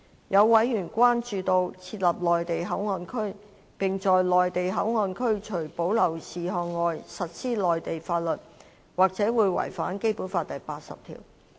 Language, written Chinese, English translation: Cantonese, 有委員關注到，設立內地口岸區，並在內地口岸區除保留事項外實施內地法律，或會違反《基本法》第八十條。, A few members raise concern that the establishment of MPA where the laws of the Mainland would be applied except for reserved matters might contravene Article 80 of the Basic Law